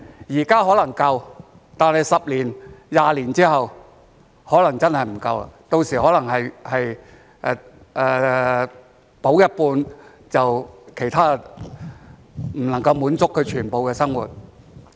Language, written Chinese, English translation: Cantonese, 現在可能足夠，但是十多二十年之後可能真的不夠，到時可能是補助一半，其他便不能夠滿足全部的生活。, They may be sufficient at present but are not necessarily so in 10 to 20 years . By that time they may be sufficient to meet half but not all of the living needs